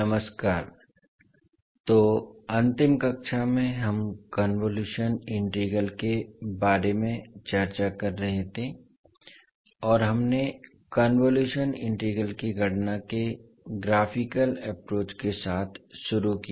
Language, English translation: Hindi, Namashkar, so in the last class we were discussing about the convolution integral, and we started with the graphical approach of calculation of the convolution integral